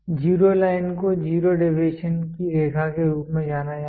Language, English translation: Hindi, Zero line the line is known as a line of zero deviation